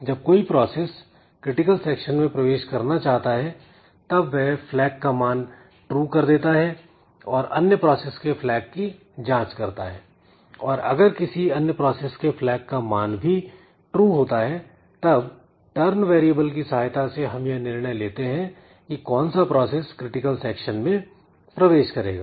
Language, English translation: Hindi, So, when a process wants to enter into the critical section it will raise its flag, it will check the flag of the other variable and then if it finds that that variable that flag is also high then it will be we need to consult the turn variable to decide like which process be allowed to enter into the critical section